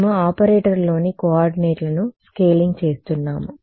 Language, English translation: Telugu, We are scaling the coordinates within the operator within the operator